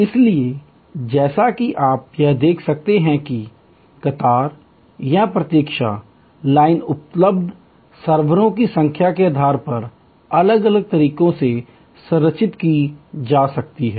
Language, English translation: Hindi, So, as you can see here, the queue or the waiting line can be structured in different ways depending on the number of servers available